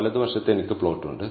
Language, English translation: Malayalam, On the right hand side, I have the plot